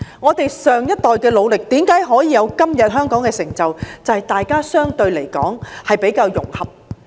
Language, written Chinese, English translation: Cantonese, 我們上一代的努力，為何可以達致香港今天的成就，正是因為大家比較融合。, The reason why the efforts made by our last generation could lead to todays achievements of Hong Kong is precisely the relatively high level of their integration